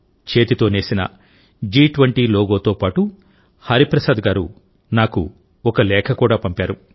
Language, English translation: Telugu, Hariprasad ji has also sent me a letter along with this handwoven G20 logo